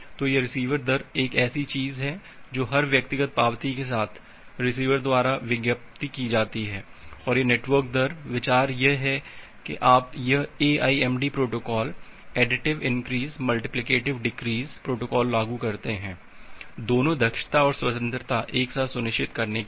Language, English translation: Hindi, So, this receiver rate is something that is advertised by the receiver with every individual acknowledgement and this network rate the idea is that you apply this a AIMD protocol additive increase multiplicative decrease protocol to ensured both efficiency and free on a simultaneously